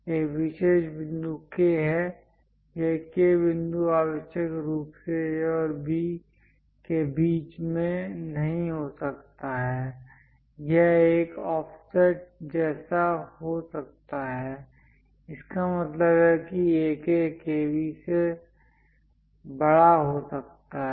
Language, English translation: Hindi, There is a special point K; this K point may not necessarily be at midway between A and B; it might be bit an offset; that means, AK might be larger than KB